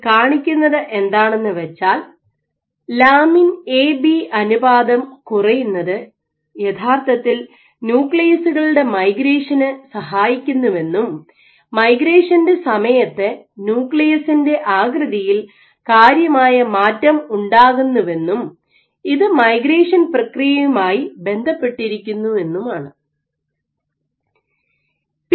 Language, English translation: Malayalam, So, this shows that having low lamin A to B ratio actually helps the nuclei to migrate and during the migration there is significant amount of change in nuclear shape, which correlates with the migration process ok